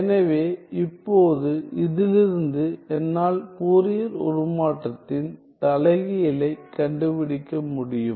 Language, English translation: Tamil, So, now, from this I can find the inverse of the Fourier transform